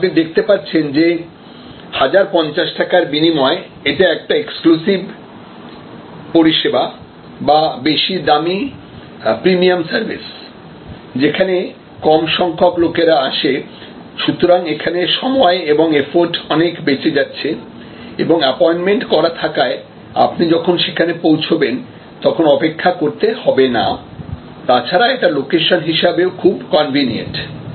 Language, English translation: Bengali, So, as you can see for at price of 1050, this is the more exclusive service or more a higher price premium service, where fewer people come and therefore, there is a better time and effort saving of waiting or for appointment or waiting, when you arrive their and it may be more conveniently located and so on